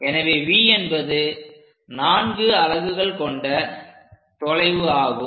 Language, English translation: Tamil, So, V will be 4 unit distance